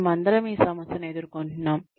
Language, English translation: Telugu, All of us face this problem